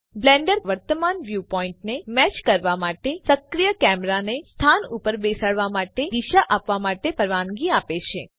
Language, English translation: Gujarati, Blender allows you to position and orient the active camera to match your current view point